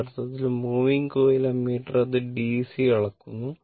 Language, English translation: Malayalam, Actually, moving coil ammeter, it measures DC right